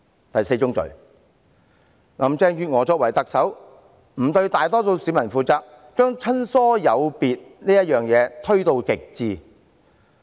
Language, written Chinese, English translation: Cantonese, 第四宗罪，林鄭月娥作為特首，沒有對大多數市民負責，把親疏有別推到極致。, The fourth sin is that Carrie LAM as the Chief Executive did not hold herself accountable to the majority public and practised affinity differentiation to the extreme